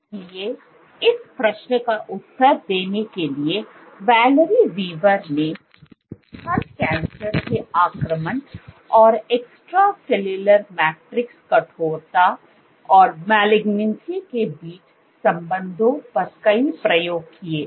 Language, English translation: Hindi, So, to answer this question Valerie Weaver, decided a number of experiments on breast cancer invasion and the relationship between extracellular matrix stiffness and malignancy